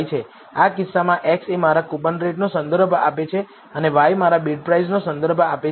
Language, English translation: Gujarati, In this case x refers to my coupon rate and y refers to my bid price